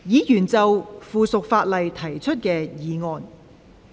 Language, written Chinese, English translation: Cantonese, 議員就附屬法例提出的議案。, Members motions on subsidiary legislation